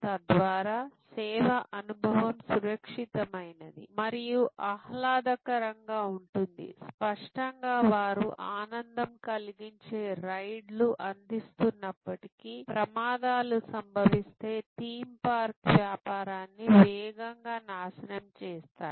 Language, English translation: Telugu, So, that the service experience is safe, secure and pleasurable it is; obviously, if they have although joy rides and there are accidents that can destroy a theme park business right fast